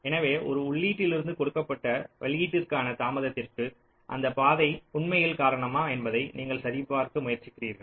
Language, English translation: Tamil, so you try to check whether the path is actually responsible for the delay from an input to ah given output or not